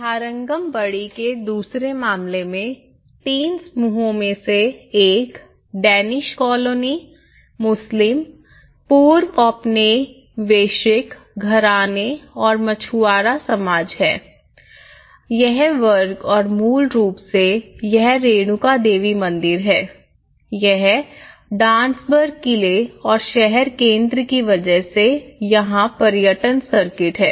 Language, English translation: Hindi, In the second case of Tharangambadi, it is the three clusters one is the Danish colony, and the Muslims, the pre colonial houses and the fishermen society, letÃs say and this is a Renuka Devi temple square and this is basically, the tourism circuit goes on to this because of the Dansburg fort here and the town centre